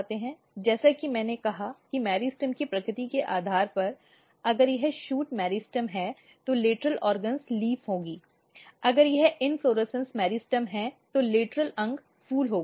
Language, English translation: Hindi, As I said depending on what is the nature of meristem if it is shoot meristem then the lateral organs will be leaf, when if it is inflorescence meristem the lateral organs will be flowers